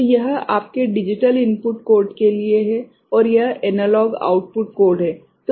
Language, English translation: Hindi, So, this is for your this digital input code, and this is the analog output code